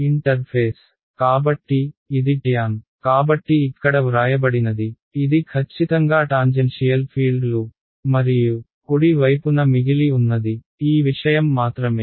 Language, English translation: Telugu, The interface; so, it is the tan so this what is written over here this is exactly the tangential fields and what is left on the right hand side is simply this thing